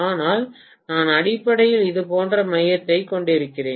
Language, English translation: Tamil, But I am going to have essentially the core somewhat like this